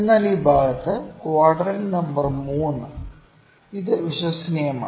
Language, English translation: Malayalam, But in this part quadrant number 3, it is reliable